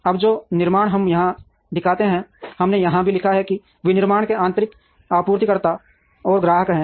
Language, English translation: Hindi, Now, the manufacturing that we show here, we also have written that the manufacturing has internal suppliers and customers